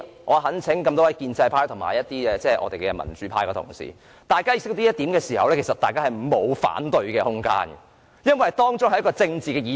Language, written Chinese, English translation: Cantonese, 我懇請各位建制派及民主派的議員了解這點，如果大家是了解的話，便沒有反對的空間，因為這涉及政治議題。, I earnestly urge pro - establishment and democratic Members to understand this . If Members understand this there is no room for them to raise objection because this political issue is involved